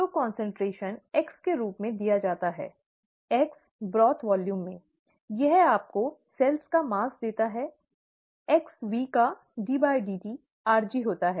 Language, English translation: Hindi, So, concentration, given as x, x into the broth volume, this gives you the mass of cells, ddt of xV equals rg